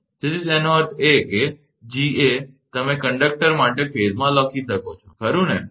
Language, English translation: Gujarati, So; that means, Ga you can write for conductor in phase a right